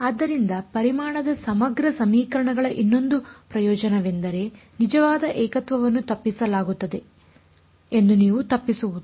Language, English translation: Kannada, So, that is one more advantage of volume integral equations is that your avoiding that the real singularity is being avoided